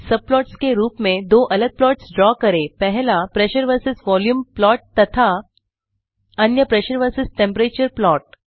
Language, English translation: Hindi, Draw two different plots as subplots, one being the Pressure versus Volume plot and the other being Pressure versus Temperature plot